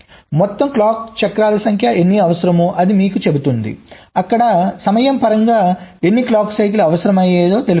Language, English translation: Telugu, it tells you how many total number of clock cycles are required, like here, in terms of the time total